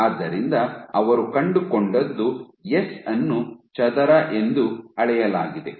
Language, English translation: Kannada, So, what they found was s scaled as t square